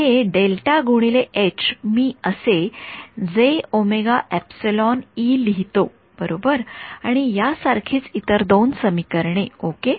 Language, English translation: Marathi, So, let me write down the other two equations